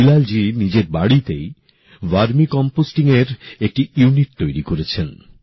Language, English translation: Bengali, Bilal ji has installed a unit of Vermi composting at his home